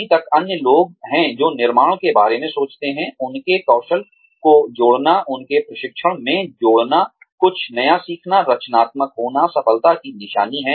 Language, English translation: Hindi, There are yet others, who think, that building, adding to their skills, adding to their training, learning something new, being creative, is a sign of success